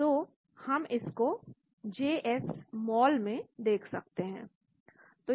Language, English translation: Hindi, So we can view that under JSmol